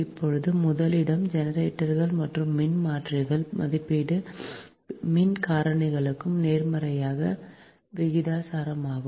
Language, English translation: Tamil, now, number one: the rating of generators and transformers are inversely proportional to the power